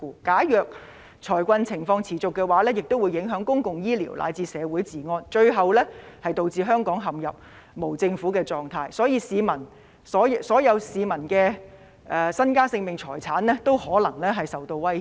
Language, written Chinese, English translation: Cantonese, 假如財困情況持續，公共醫療乃至社會治安亦會受到影響，最後導致香港陷入無政府狀況，所有市民的身家、性命和財產均可能受到威脅。, If financial distress persists public health care and even public order will be affected . Eventually Hong Kong will plunge into anarchy and the lives and property of all the people in Hong Kong will under threat